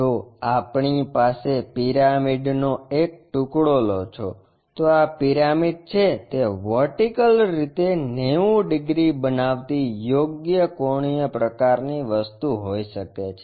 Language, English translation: Gujarati, If, we have a pyramid take a slice, this is the pyramid it might be right angular kind of thing vertically making 90 degrees